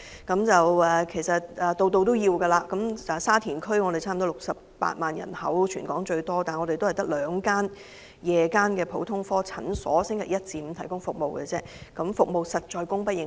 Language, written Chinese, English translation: Cantonese, 全港人口最多的沙田區差不多有68萬的居民，但該區只有兩間夜間普通科診所在星期一至五提供服務，服務實在供不應求。, There are nearly 680 000 residents in Sha Tin which is the most populated district in Hong Kong . However there are only two evening general outpatient clinics in the district providing services from Monday to Friday . The current services are indeed insufficient to meet the demand